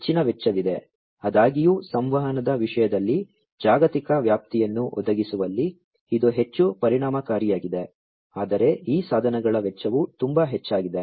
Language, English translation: Kannada, So, there is higher cost although, you know, it is much more effective in providing global coverage in terms of communication, but the cost of these devices is much higher